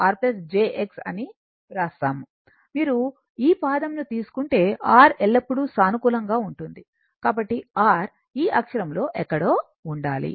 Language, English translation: Telugu, Now, if you take this quadrant R is always positive, so R should be somewhere here on this axis